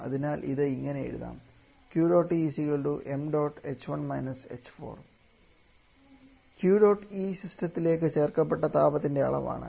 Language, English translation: Malayalam, So this can be written as Q dot E is the amount of heat is added to the system